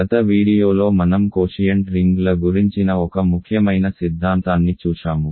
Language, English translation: Telugu, In the last video we looked at an important theorem about quotient rings